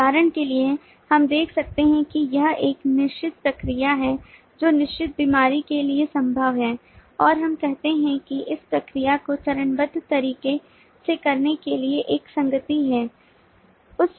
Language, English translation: Hindi, for example, we can see this is a requested procedure, possibly for certain ailment, and we say that there is an association with modality performed procedure